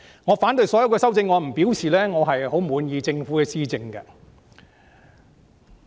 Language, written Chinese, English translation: Cantonese, 我反對所有修正案並不代表我十分滿意政府的施政。, My opposition to all amendments does not mean that I am very satisfied with the Governments policy implementation